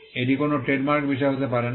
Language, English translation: Bengali, It cannot be a subject matter of a trademark